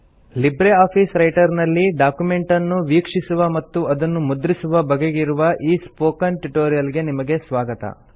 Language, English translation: Kannada, Welcome to the Spoken tutorial on LibreOffice Writer Printing and Viewing documents